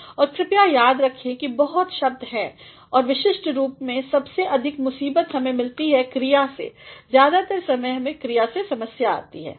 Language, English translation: Hindi, And, please do remember that there are many words especially and the greatest trouble that we face is from verbs; most of the time we face problems from the verbs